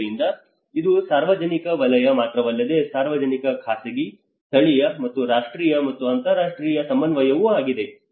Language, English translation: Kannada, So it is both not only the public sector but also the public private, local and national and international coordination